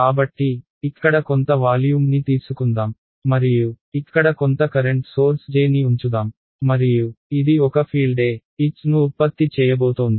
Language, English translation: Telugu, So, let us take some volume over here and let us put some current source over here J and this is going to produce a field E comma H